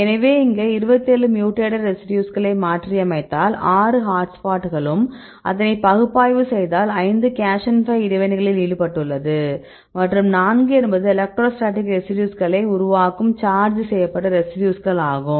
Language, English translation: Tamil, So, here this group they mutated 27 residues, among the 27 mutants they I do not only 6 are hotspots and if you do the analysis on the hot spot residues 5 are involved in cation pi interactions and 4 are the electrostatic interaction forming residues there are charged residues